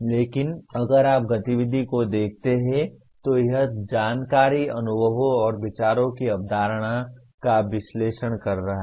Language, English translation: Hindi, But if you look at the activity, it is analyzing, conceptualizing information, experiences and so on